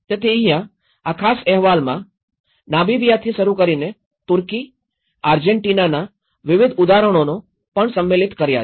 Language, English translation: Gujarati, So, this is where, this particular report also touched upon a variety of example starting from Namibia, starting from Turkey, Argentina